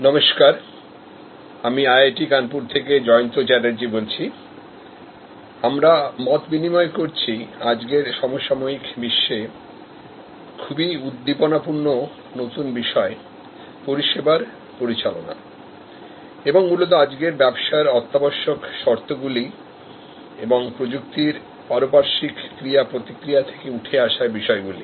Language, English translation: Bengali, Hello, I am Jayanta Chatterjee from IIT Kanpur, we are interacting on this existing new topic of services management in the contemporary world and the issues arising out of the interaction between today’s technology and today’s business imperatives